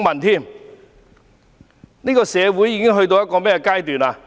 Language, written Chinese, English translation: Cantonese, 這個社會已到了甚麼地步？, How awful has our society become?